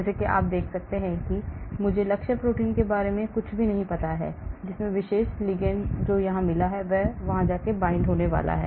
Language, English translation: Hindi, as you can see here, I do not know anything about the target protein into which the particular ligand which you have got here is going to bind to